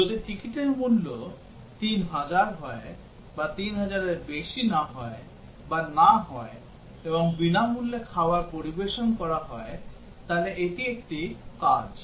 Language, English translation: Bengali, If the ticket cost is 3000, or not more than 3000, or not and free meals are served is an action